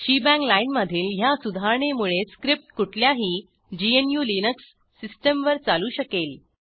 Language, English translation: Marathi, This shebang line improves the portability of the script on any GNU/Linux system